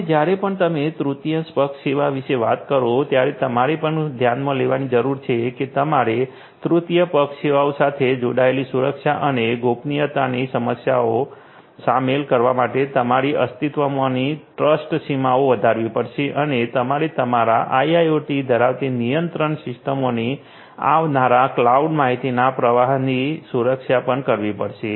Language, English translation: Gujarati, Now whenever you are talking about a third party service, you also need to consider you have to extend your existing trust boundaries to include the security and privacy issues that are existing with those third party services and you also have to safeguard the control systems in your IIoT from the incoming cloud information flow